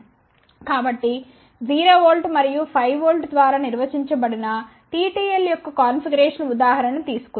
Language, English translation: Telugu, So, let us take an example of it TTL configuration which is defined by 0 volt and 5 volt